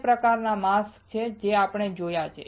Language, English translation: Gujarati, There are two types of mask which we have seen